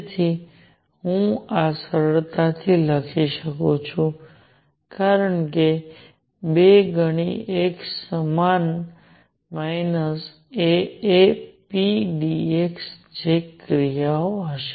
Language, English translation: Gujarati, So, I can easily write this as two times x equals minus A A p dx that will be the action